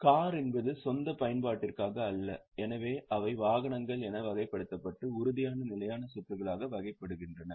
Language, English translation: Tamil, Cars are meant for own use so they are classified as vehicles and put it as tangible fixed assets